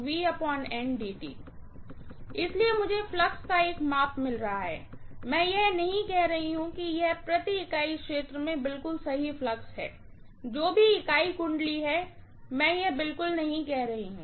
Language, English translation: Hindi, So I am getting a measure of flux, I am not saying it is exactly flux per unit area, flux per whatever unit turn, I am not saying that at all